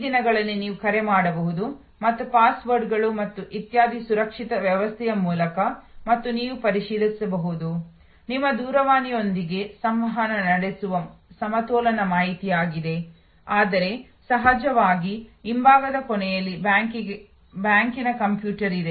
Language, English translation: Kannada, These days you can just call and through a very secure system of passwords and etc and you can access, you are balance information just interacting with your telephone, but at the back end of course, there is a computer of the bank